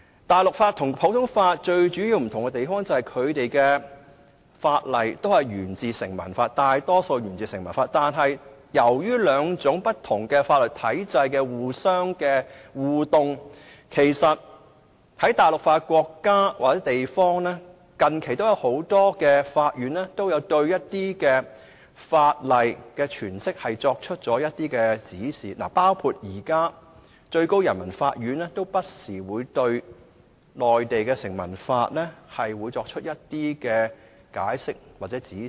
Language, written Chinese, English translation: Cantonese, 大陸法和普通法最主要的差異，在於大陸法大多數法例都沿自成文法，但由於這兩套法律體系不斷互動，很多實行大陸法的國家或地方的法院近期都有就一些法例的詮釋作出指示，包括現時最高人民法院不時會就內地的成文法作出解釋或指示。, The most significant difference between civil law and common law is that the former predominantly originated from statute law . However due to the constant interaction between these two legal systems the Courts in many countries or places practising civil law have recently given directions regarding interpretations of certain laws . Among others the Supreme Peoples Court will make interpretations of or give directions in respect of the statue law in the Mainland from time to time